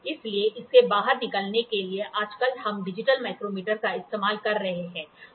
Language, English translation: Hindi, So, in order to get out of it, we are nowadays using digital micrometer